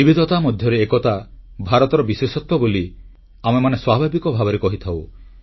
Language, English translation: Odia, The element of Unity in diversity being India's speciality comes naturally to us